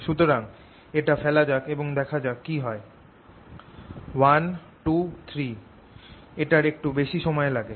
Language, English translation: Bengali, so let's put it and see what happens: one, two, three